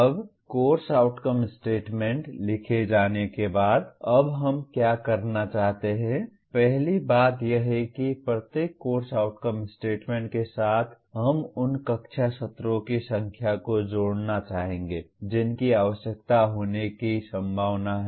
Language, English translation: Hindi, Now having written the course outcome statements, now what we would like to do is, first thing is with each course outcome statement we would like to associate the number of classroom sessions that are likely to be required